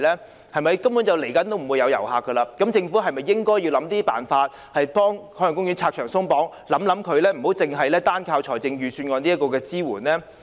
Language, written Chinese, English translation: Cantonese, 事實上，未來一段時間也不會有遊客的，政府是否應該設法為海洋公園拆牆鬆綁，而不是單單靠預算案的支援呢？, In fact as there will not be any visitors for a period of time in the future should the Government endeavour to remove the barriers for the Ocean Park rather than relying solely on the support under the Budget?